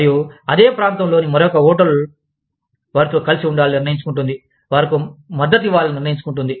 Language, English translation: Telugu, And, another hotel in the same locality, decides to side with them, decides to support them